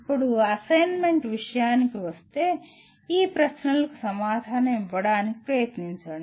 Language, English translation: Telugu, Now, coming to some assignments, try to answer these questions